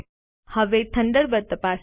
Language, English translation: Gujarati, Lets check Thunderbird now